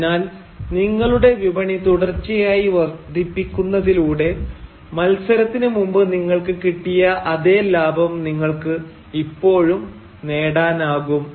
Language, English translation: Malayalam, So by continuously increasing the size of your market, you can still rake in the same amount of profit that you were doing earlier before the competition